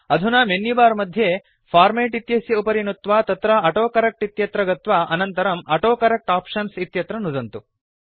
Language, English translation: Sanskrit, Now click on the Format option in the menu bar then go to the AutoCorrect option and then click on the AutoCorrect Options